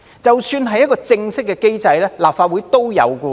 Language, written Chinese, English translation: Cantonese, 即使是正式的機制，立法會也是有的。, Speaking of a formal mechanism the Legislative Council has that in place as well